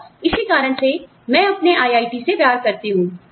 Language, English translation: Hindi, And, that is why, I love my IIT